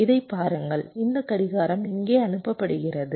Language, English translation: Tamil, see this: this clock is being fed here